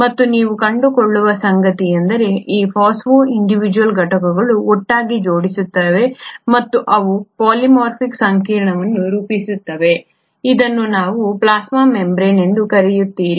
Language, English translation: Kannada, And what you find is that these phospho individual units arrange in tandem and they form a polymeric complex which is what you call as the plasma membrane